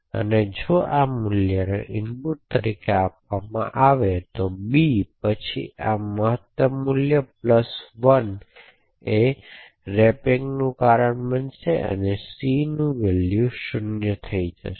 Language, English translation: Gujarati, So if this value is actually given as input to b then this maximum value plus 1 will cause a wrapping to occur and the value of c would become 0